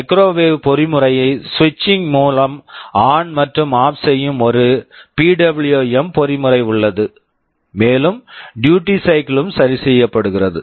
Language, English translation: Tamil, There is a PWM mechanism which will be switching the microwave mechanism ON and OFF, and the duty cycle is adjusted